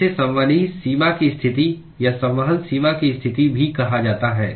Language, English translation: Hindi, It is also called as convective boundary condition or convection boundary condition